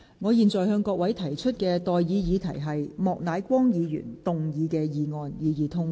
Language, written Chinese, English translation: Cantonese, 我現在向各位提出的待議議題是：莫乃光議員動議的議案，予以通過。, I now propose the question to you and that is That the motion moved by Mr Charles Peter MOK be passed